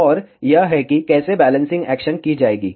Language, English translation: Hindi, And this is how, the balancing action will be performed